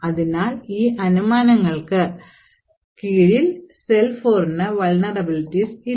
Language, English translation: Malayalam, Therefore, under these assumptions SeL4 does not have any vulnerabilities